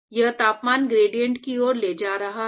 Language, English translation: Hindi, In fact, that is leading to the temperature gradient